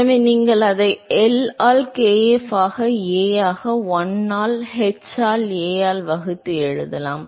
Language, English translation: Tamil, So, you can rewrite it as L by kf into A divided by 1 by h into A